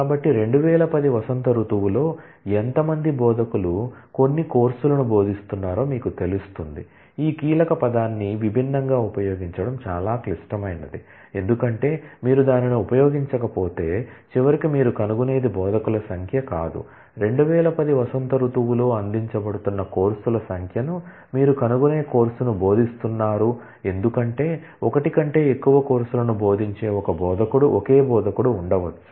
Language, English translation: Telugu, So, that will tell you how many instructors are teaching some course in spring 2010 mind you, this is critical to use this key word distinct, because unless you use that, then all that you will eventually find out is not the number of instructors who are teaching the course you will find out the number of courses, that are being offered in spring 2010 because, there could be the same instructor teaching more than one course